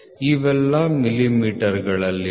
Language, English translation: Kannada, 000 these are all in millimeters, ok